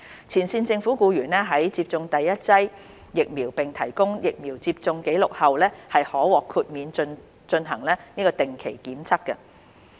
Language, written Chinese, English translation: Cantonese, 前線政府僱員在接種第一劑疫苗並提供疫苗接種紀錄後，可獲豁免進行定期檢測。, Frontline employees who have received the first dose of a vaccine and provided their vaccination record could be exempted from regular testing